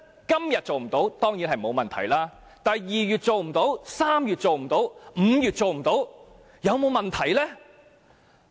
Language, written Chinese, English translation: Cantonese, 今天做不到沒有問題，但2月做不到 ，3 月做不到 ，5 月做不到，有沒有問題？, It may not be a problem if the procedures cannot be completed today . Yet if these cannot be completed by February March or May will there be a problem?